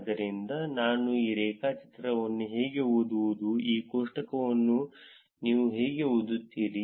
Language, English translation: Kannada, So, how do I read this graph this how do you read this table